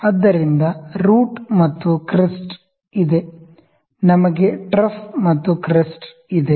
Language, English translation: Kannada, So, there is root and crest, we have trough and crest